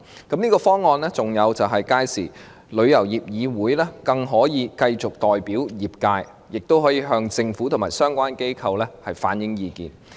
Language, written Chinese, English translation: Cantonese, 這方案還可令旅議會更能繼續代表業界，亦可以向政府和相關機構反映意見。, This option could even allow TIC to continue representing the trade and reflect opinions to the Government and relevant bodies